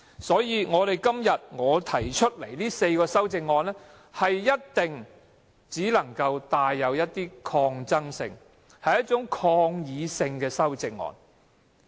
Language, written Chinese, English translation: Cantonese, 所以，我今天提出的4項修正案，一定只能是一種帶有一點抗爭性和抗議性的修正案。, Therefore the four amendments I raise today can only be somewhat resistant and defiant in nature